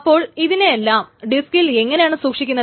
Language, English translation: Malayalam, So how is it actually stored in the disk